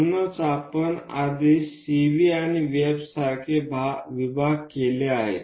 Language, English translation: Marathi, So, already we have made some division like CV and VF